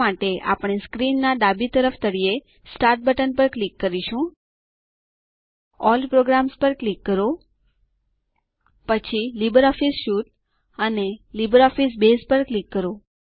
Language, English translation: Gujarati, For this, we will click on the Start button at the bottom left of the screen, click on All programs, then click on LibreOffice Suite and LibreOffice Base